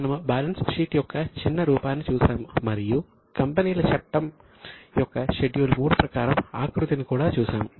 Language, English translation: Telugu, We have also seen the format of balance sheet, a short form then in detail as per Schedule 3 of Companies Act